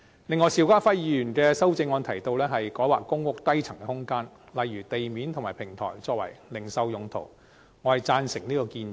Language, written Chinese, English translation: Cantonese, 此外，邵家輝議員的修正案提及改劃公屋低層空間，例如地面及平台用作零售用途，我贊成這建議。, Meanwhile Mr SHIU Ka - fais amendment has mentioned the re - assignment of spaces on the lower floors such as ground and podium levels for retail purposes . I support this proposal